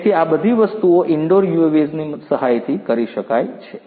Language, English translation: Gujarati, So, all of these things can be done in with the help of indoor UAVs